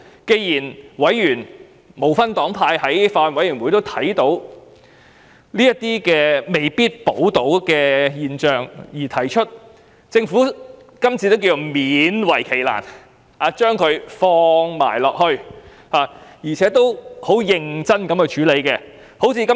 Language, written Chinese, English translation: Cantonese, 既然法案委員會內不分黨派的委員也看到有人未必受保護，政府今次便勉為其難，提出《條例草案》的修正案，認真處理問題。, As members of the Bills Committee regardless of their political affiliations have admitted that some people are not protected under the Bill the Government has reluctantly moved the amendments to the Bill to seriously deal with the problems